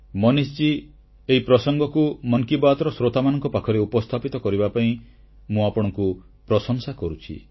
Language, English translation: Odia, Manishji, I appreciate you for bringing this subject among the listeners of Mann Ki Baat